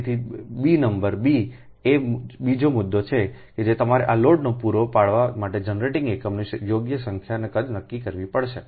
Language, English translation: Gujarati, so b, number b is that second point is you have to determine the proper number and size of generating units to supply this load, right